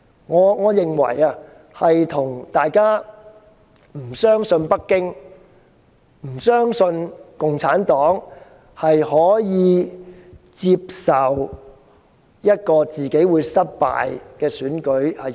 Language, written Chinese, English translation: Cantonese, 我認為，這與大家不相信北京或共產黨可以接受一次失敗的選舉。, In my opinion people do not trust that Beijing or the Communist Party would accept defeat in an election